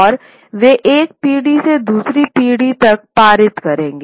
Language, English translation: Hindi, And they would pass on from one generation to another